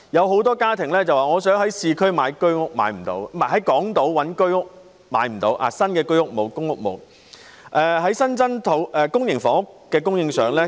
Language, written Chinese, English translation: Cantonese, 很多家庭想在港島購買居屋，但卻不能購買到，因為港島沒有新建的居屋或公屋。, Many families have failed to buy HOS flats on Hong Kong Island against their wish because there are no new HOS flats or PRH units on Hong Kong Island